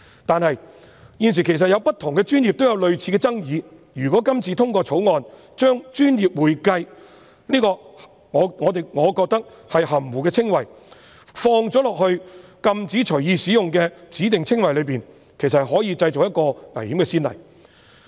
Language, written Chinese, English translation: Cantonese, 但是，現時在不同的專業也有類似爭議，如果今次通過《條例草案》，將我個人認為"專業會計"此含糊的稱謂放入禁止隨意使用的指定稱謂裏，其實可能製造危險的先例。, However there are similar controversies in various professions at present . Upon the passage of the Bill if the term professional accounting is included as a specified description which cannot be freely used a dangerous precedent may be set